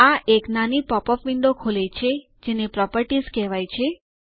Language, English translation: Gujarati, This opens a smaller popup window called Properties